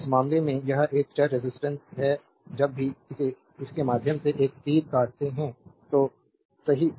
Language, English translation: Hindi, Now in this case this is a variable resistance whenever cutting an arrow through it, right